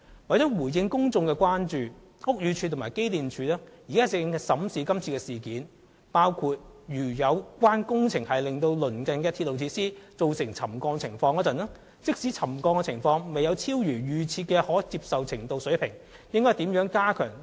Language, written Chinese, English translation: Cantonese, 為回應公眾的關注，屋宇署和機電署現正審視今次事件，包括如果有關工程令鄰近的鐵路設施出現沉降，即使沉降情況未有超逾預設的可接受程度，部門之間應如何加強溝通。, In response to public concern BD and EMSD are examining the present incident including how inter - departmental communication should be strengthened when relevant building works cause subsidence of the adjacent railway facilities even if the extent does not exceed the default tolerable limit